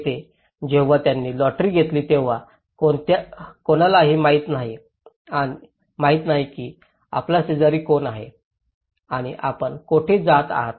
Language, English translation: Marathi, Here, when they have taken a lottery approaches no one knows who is your neighbour and where you are going